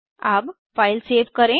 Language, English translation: Hindi, Lets save the file now